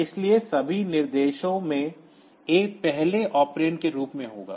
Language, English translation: Hindi, So all instructions so they will have A as the as the first operand